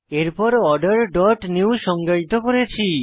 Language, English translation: Bengali, Next, I have defined Order dot new